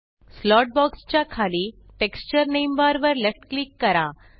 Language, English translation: Marathi, Left click the cross sign at the right of the Texture name bar below the slot box